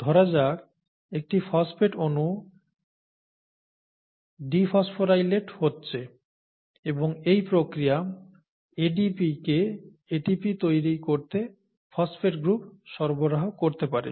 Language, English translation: Bengali, Let’s say a phosphate molecule, can get, can get dephosphorylated and in that process, provide the phosphate group to ADP enzymatically to create ATP, right